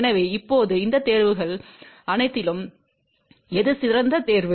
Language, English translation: Tamil, So, now, among all these choices which one is the best choice